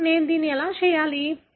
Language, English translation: Telugu, Now, why should I do this